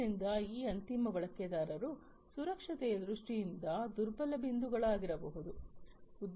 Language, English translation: Kannada, So, these end users can be the vulnerable points in terms of security